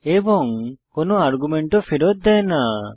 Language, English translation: Bengali, And, it does not return anything